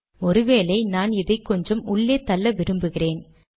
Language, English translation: Tamil, Now suppose I want to push this a little inside